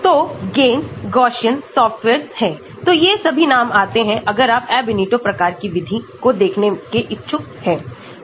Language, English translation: Hindi, So, there are softwares called GAMESS, Gaussian, so all these names will come across if you are interested in looking at Ab initio type of method